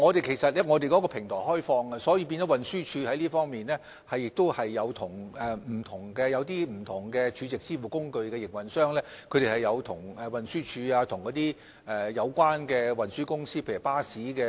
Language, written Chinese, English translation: Cantonese, 其實，我們的平台是開放的，所以運輸署亦有就此與不同儲值支付工具營運商，以及巴士等有關運輸公司討論。, Our platform is actually open . Hence TD has also discussed this matter with different SVF operators and relevant transport companies such as the bus companies